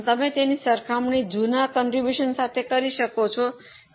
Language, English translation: Gujarati, You can just compare with old contribution which was 2